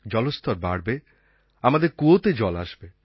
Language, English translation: Bengali, There would be sufficient water in our waterwells